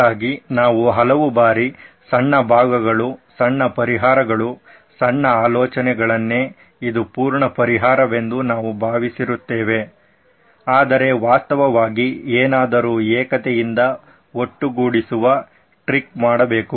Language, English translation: Kannada, So lots of times we look at smaller portions, smaller solutions, smaller ideas and we think this is what will solve it, whereas something put together unity actually would do the trick